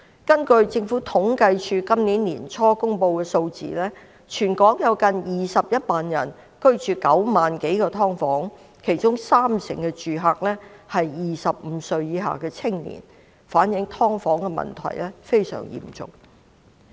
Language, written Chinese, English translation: Cantonese, 根據政府統計處今年年初公布的數字，全港有近21萬人居於9萬多個"劏房"單位，其中三成住客是25歲以下的青年，反映"劏房"問題非常嚴重。, According to the figures released by the Census and Statistics Department at the beginning of this year there were nearly 210 000 people living in some 90 000 subdivided units in Hong Kong and 30 % of the residents were young people aged below 25 . The severity of the problem of subdivided units is thus evident